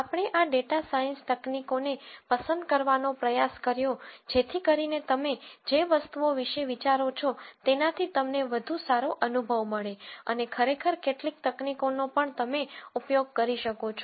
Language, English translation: Gujarati, We tried to pick these data science techniques so that you get a good flavour of another things that you think about and also actually techniques that you can use for some problems right away